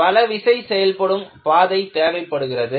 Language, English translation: Tamil, You need to have multiple load path